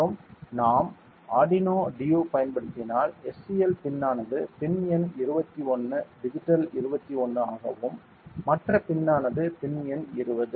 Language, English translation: Tamil, And in case since we have to use the Arduino due ok the SCL pin is pin number 21 digital 21 and the other pin is pin number 20 SDA pin is due is pin number 20 ok